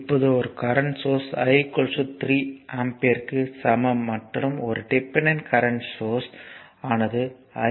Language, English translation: Tamil, Now, this one a current source is there is i s equal to 3 ampere and a dependent current source is there where i x is equal to 3 into i s